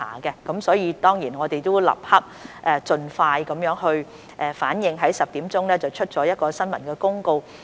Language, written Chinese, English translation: Cantonese, 我們當然亦立即盡快作出反應，在今早10時發出了新聞公告。, Of course we immediately gave a prompt response and issued a press release at 10col00 am this morning